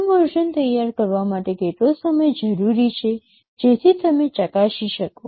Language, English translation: Gujarati, How much time is required to have the first version ready so that you can test